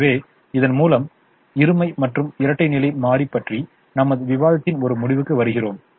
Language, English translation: Tamil, so with this we come to a end of our discussion on duality and the dual